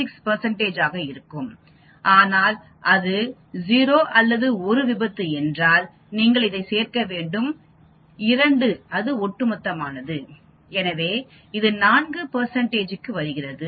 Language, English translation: Tamil, 36 percent, but if it is 0 or 1 accident then you need to add these 2 that is cumulative, so it comes to 4 percent